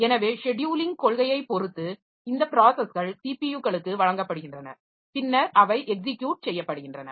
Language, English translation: Tamil, So, depending upon the scheduling policy, so these processes are given to these CPUs and then they are executing